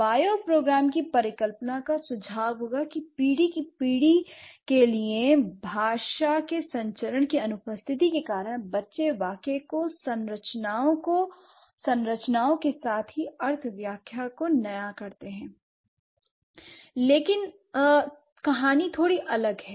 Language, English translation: Hindi, By program hypothesis would suggest that because of the absence of generation to generation transmission of language, the children, they innovate the sentence structures as well as the semantic interpretation